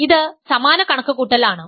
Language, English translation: Malayalam, So, this is exactly the same calculation